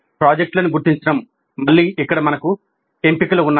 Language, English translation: Telugu, Then identifying the projects, again here we have choices